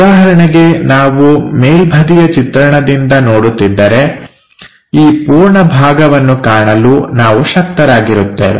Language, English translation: Kannada, For example, if we are looking from top view, this entire part we will be in a position to observe